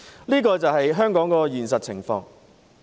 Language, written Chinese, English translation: Cantonese, 這便是香港的現實情況。, This is the actual situation of Hong Kong